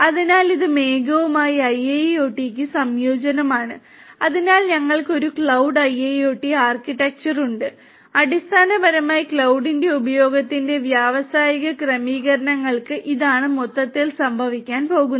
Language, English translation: Malayalam, So, this is a combination of IIoT with cloud and so we have a cloud IIoT architecture and essentially for industrial settings of use of cloud this is what is grossly it is going to happen